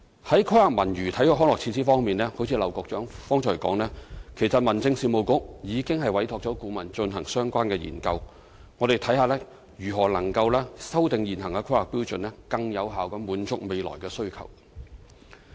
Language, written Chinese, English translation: Cantonese, 在規劃文娛體育康樂設施方面，正如劉江華局長剛才所說，其實民政事務局已委託顧問進行相關研究。我們會看看如何能夠修訂現行的《規劃標準》，更有效地滿足未來的需求。, On the planning of cultural sports and recreational facilities as Secretary LAU Kong - wah just said the Home Affairs Bureau has already commissioned related consultancy studies to see how we can amend the existing HKPSG to more effectively meet the future needs